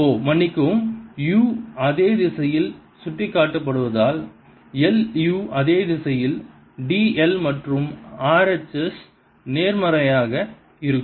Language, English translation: Tamil, u will be pointing in the same direction as d, l and r, h, s will be positive